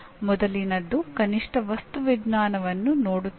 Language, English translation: Kannada, The earlier one was at least looking at material science